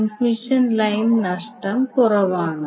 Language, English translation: Malayalam, Transmission line loss less